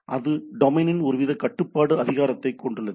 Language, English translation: Tamil, So, it has or we it has a some sort of a control authority of the domain